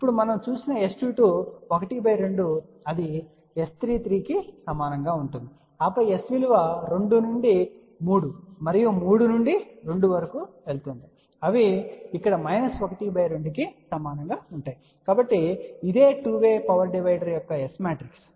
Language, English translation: Telugu, Now S 2 2 we had seen that is equal to half same as S 3 3 and then S going from 2 to 3 and 3 to 2 they are equal to minus half over here, so that is the S matrix of 2 way power divider